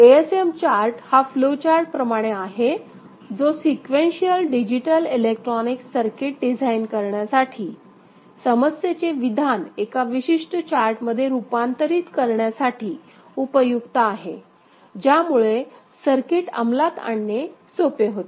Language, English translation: Marathi, ASM chart is a flow diagram like representation which is useful for designing sequential digital electronic circuit, to convert the problem statement to a particular chart which is easier for you know, getting the circuit implemented